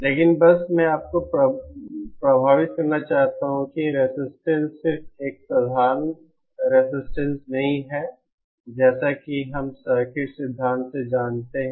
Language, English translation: Hindi, But just I want to impress on you that resistor is not just a simple resistance as we have known from the circuit theory